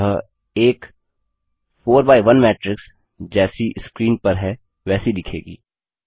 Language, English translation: Hindi, So a 4 by1 matrix will look like as shown on the screen